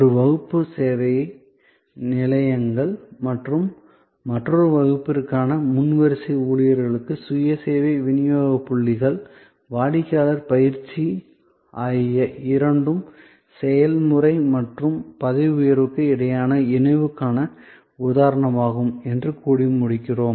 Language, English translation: Tamil, So, we conclude by saying that for one class service outlets and front line employees and for another class the self service delivery points, the customer training both are instances of the fusion necessary between process and promotion